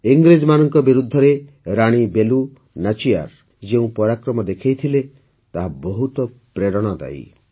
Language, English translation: Odia, The bravery with which Rani Velu Nachiyar fought against the British and the valour she displayed is very inspiring